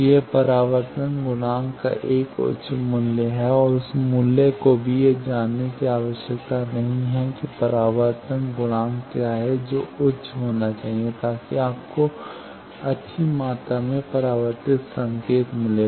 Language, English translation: Hindi, That it is a high value of reflection coefficient and that value also need not know that what is the reflection coefficient of that it should be high so that you get good amount of reflected signal